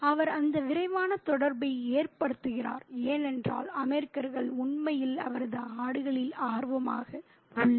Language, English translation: Tamil, He makes that quick connection because the American is really apparently interested in his goals